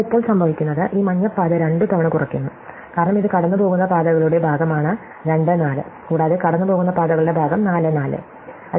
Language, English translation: Malayalam, But now what happens is, this yellow path is subtracted twice because it is part of the paths going through ( and part of the paths going through (, right